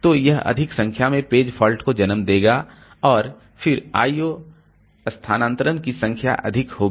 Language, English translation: Hindi, So, it will give rise to more number of page faults and then more number of I